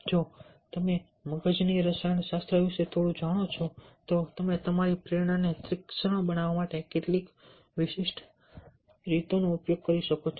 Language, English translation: Gujarati, if you know a bit of brain chem, brain chemistry, you can use some of the specific ways to surfen your, to surfern your motivation